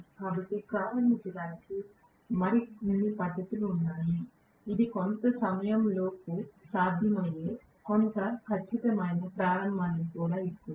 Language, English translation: Telugu, So there are more methods of starting which will also give me somewhat accurate starting that is possible within certain duration of time and so on